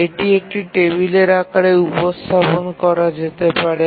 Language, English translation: Bengali, So we can represent that in the form of a table